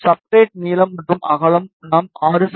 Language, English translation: Tamil, And the substrate length and width we will be taking 6 centimeters